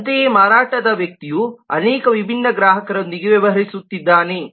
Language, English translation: Kannada, similarly, sales person is also dealing with multiple different customers